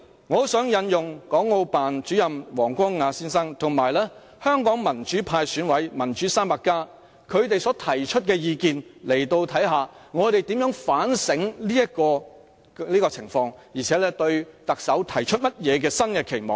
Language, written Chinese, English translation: Cantonese, 我很想在此引用港澳辦主任王光亞先生，以及民主派選委"民主 300+" 他們所提出的意見，看看我們怎樣反省這種情況，並對特首提出甚麼新的期望。, In reflecting on the current situation I do wish to cite here the views given by Mr WANG Guangya Director of the Hong Kong and Macao Affairs Office of the State Council as well as Democrats 300 a coalition formed by Election Committee members belonging to the pan - democratic camp to help shape our expectations for the next Chief Executive